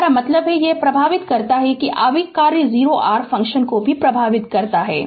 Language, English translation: Hindi, I mean it affects the that impulse function affects the other function also